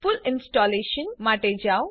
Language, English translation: Gujarati, Go for full Installation